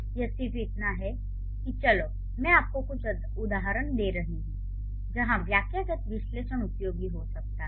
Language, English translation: Hindi, It is just that I am giving you a few instances where syntactic analysis is going to be useful